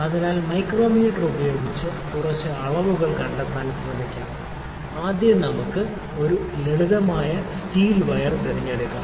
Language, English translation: Malayalam, So, let us try to find a few dimensions using micrometer, let us first pick a simple wire steel wire